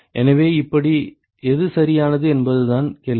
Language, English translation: Tamil, So, the question is how, which one is the correct one